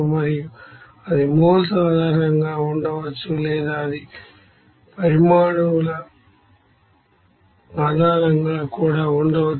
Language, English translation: Telugu, And that can be you know based on the moles or that can be based on the atoms also